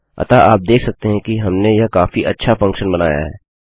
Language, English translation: Hindi, So you can see that this is quite good function that we have made